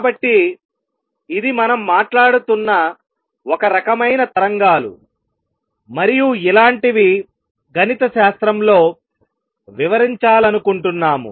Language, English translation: Telugu, So, this is a kind of waves we are talking about and this is what we want to describe mathematically